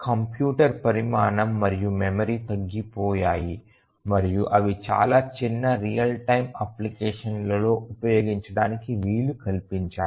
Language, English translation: Telugu, The size of computers and memory have really reduced and that has enabled them to be used in very very small real time applications